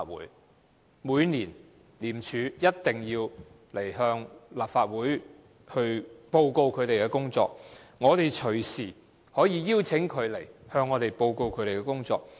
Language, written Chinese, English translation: Cantonese, 廉署每年一定要向立法會報告其工作，我們隨時可以邀請廉署前來向我們報告工作。, Every year ICAC has to report to the Legislative Council on its work and we can invite ICAC to report to us at any time